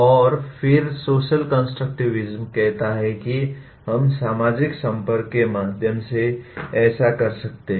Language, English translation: Hindi, And then social constructivism says that, we can do that through social interactions much better